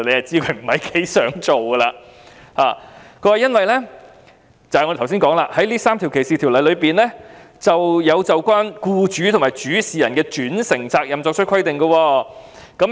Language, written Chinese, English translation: Cantonese, 政府所說的原因是，這3項反歧視條例"就有關僱主和主事人的轉承責任作出規定。, The reason given by the Government is that the three anti - discrimination ordinances provide for the vicarious liability of employers and principals